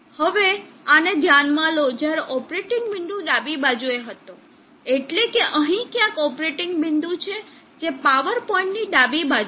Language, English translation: Gujarati, Now consider this when the operating point was on the left means the left of the peak power point somewhere here the operating point is there